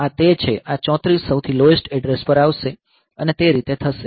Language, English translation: Gujarati, So, this is that, so this is 34 will come to the lowest address and that way